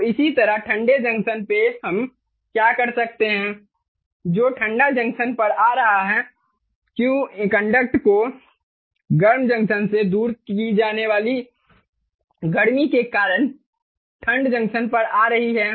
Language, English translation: Hindi, what is coming to the cold junction is q cond, the conduction, the heat that is conducted away from the hot junction is coming to the cold junction